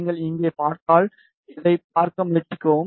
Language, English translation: Tamil, If you see here, just try to analyze these results